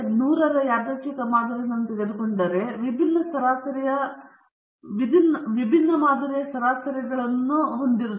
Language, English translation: Kannada, If you take hundred random samples, and the samples have different sample averages okay